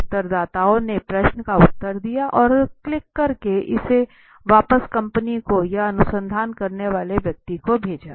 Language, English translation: Hindi, So respondents answer to the question and click and sent it back to the company or the one who is conducting the research